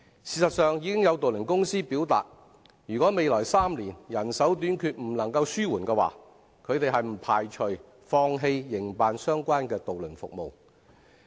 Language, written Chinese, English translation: Cantonese, 事實上，有渡輪公司已表明，如果未來3年人手短缺問題未能紓緩，將不排除放棄營辦相關的渡輪服務。, In fact some ferry companies have indicated that if the labour shortage problem cannot be alleviated in the next three years they do not rule out the possibility of abandoning the operation of their ferry services